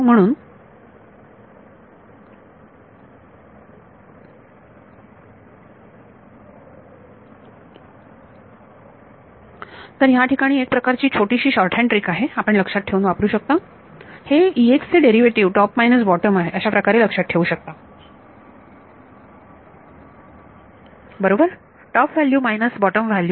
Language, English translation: Marathi, So, there is a sort of trick short hand trick you can use to remember this the E x derivative can be thought of as top minus bottom, right the top value minus the bottom value